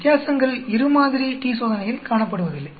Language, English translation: Tamil, The differences are not being seen in two sample t Test